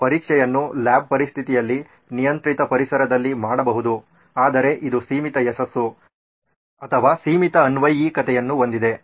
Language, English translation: Kannada, You can do your test in lab conditions, in controlled environment but it has limited success or limited applicability